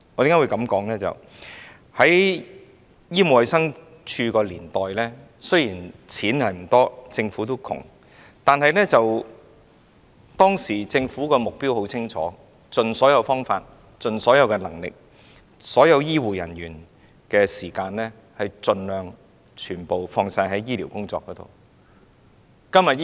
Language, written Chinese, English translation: Cantonese, 因為，在醫務衞生署的年代，雖然我們的資源不多，政府仍然很窮，但當時政府的目標很清晰，就是要盡所有方法、盡所有能力，把所有醫護人員的時間盡量放在醫療工作上。, It is because during the Medical and Health Department era although our resources were scarce and the Government was still very poor the Government had a very clear target that by all means and with all efforts the time of all healthcare personnel would be devoted on healthcare work